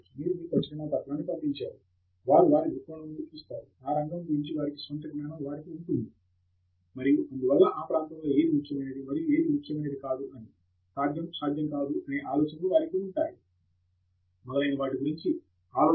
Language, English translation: Telugu, So, they send, they look at your paper from some perspective, their own knowledge of the field and so on, their idea of what is important and what is not important in that area, their idea of what is possible, not possible, etcetera